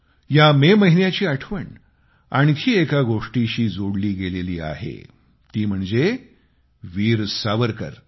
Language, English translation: Marathi, Memories of this month are also linked with Veer Savarkar